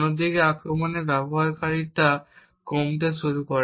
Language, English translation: Bengali, On the other hand, the practicality of the attack starts to reduce